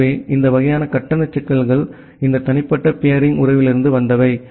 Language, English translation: Tamil, So, those kind of charge issues they come from this private peering relationship